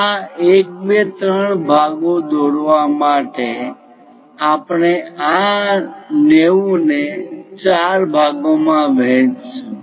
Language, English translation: Gujarati, So, to construct these 1 2 3 parts what we are going to do is again we will divide this 90 into 4 parts